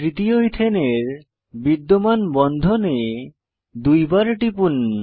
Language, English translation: Bengali, Click on the existing bond of the third Ethane structure twice